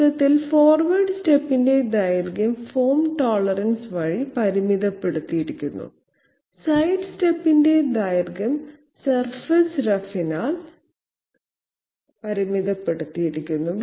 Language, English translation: Malayalam, To summarize, length of forward step is restricted by form tolerance, length of sidestep is restricted by surface roughness